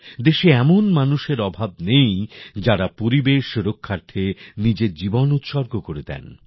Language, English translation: Bengali, There is no dearth of people in the country who spend a lifetime in the protection of the environment